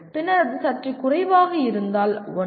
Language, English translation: Tamil, And then if it is slight, 1